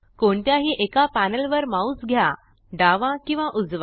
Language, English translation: Marathi, Move your mouse over any one panel left or right